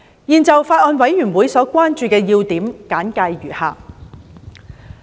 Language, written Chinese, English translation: Cantonese, 現就法案委員會所關注的要點簡介如下。, I now briefly report on the major concerns of the Bills Committee as follows